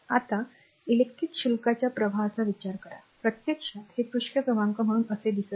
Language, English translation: Marathi, Now, consider the flow of electric charges a so, actually this is actually you do not look it this as the page number right